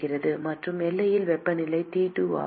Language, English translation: Tamil, And the temperature on the boundary is T2